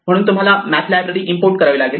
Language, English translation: Marathi, So, you actually have to import the math library